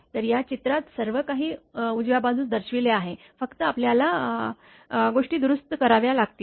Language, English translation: Marathi, So, everything is shown on the right hand side on this diagram only thing is that you have to make things correct